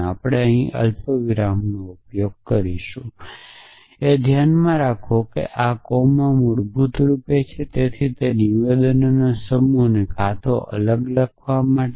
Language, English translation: Gujarati, And so we will also use a comma here the keep in mind that this coma basically stands for in and so the same set of statement to either writing in a different